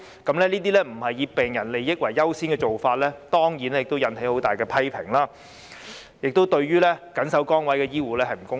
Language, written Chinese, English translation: Cantonese, 這些不是以病人利益為優先的做法，當然引起很大的批評，亦對緊守崗位的醫護不公平。, Such an approach which did not give priority to patients interest certainly met strong criticisms and was unfair to the healthcare workers who faithfully performed their duties in their posts